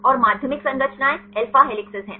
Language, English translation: Hindi, And the secondary structures are alpha helices